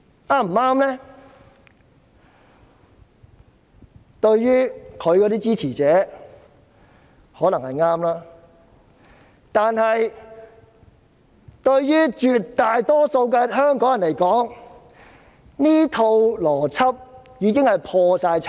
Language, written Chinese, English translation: Cantonese, 她的支持者或許認為是正確的，但對於絕大多數香港人而言，她的這套邏輯已破產。, Her supporters may think it is correct . But to the vast majority of Hong Kong people this argument of hers has already gone bankrupt